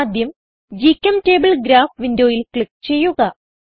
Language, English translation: Malayalam, First click on GChemTable Graph window